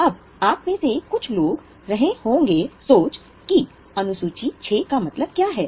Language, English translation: Hindi, Now, few of you may be wondering what is this Schedule 6 mean